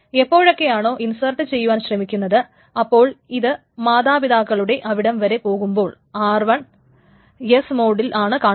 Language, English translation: Malayalam, Whenever this thing is trying to insert it, it checks all the way up its parents and see that R1 is locked in a S mode because this is being done